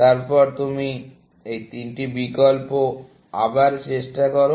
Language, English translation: Bengali, Then, you try these three options, again